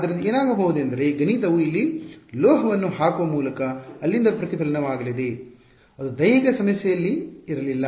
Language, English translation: Kannada, So, what will happen is that math that by putting a metal over here that is going to be a reflection from there so, which was not there in the physical problem